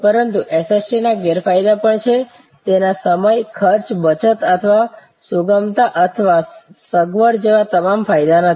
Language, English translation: Gujarati, But, there are disadvantages of SST it is not all advantage like time and cost saving or flexibility or convenience